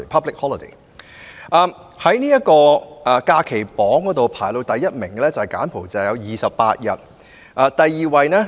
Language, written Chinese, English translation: Cantonese, 在公眾假期榜上，排名首位的是柬埔寨，有28日......, On the public holiday chart Cambodia ranked first and it has 28 days I only choose countries that we are all familiar with